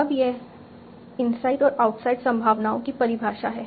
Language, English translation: Hindi, Now this is just the definition of inside and outside probabilities